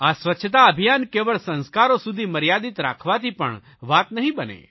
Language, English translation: Gujarati, It will not be sufficient to keep this Cleanliness Campaign confined to beliefs and habits